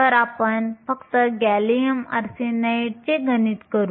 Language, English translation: Marathi, So, let us just do the math for gallium arsenide